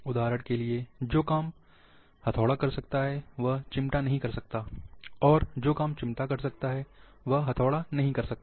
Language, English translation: Hindi, For example, the work which hammer can do, the plier cannot do, and the work which plier can do, the hammer cannot do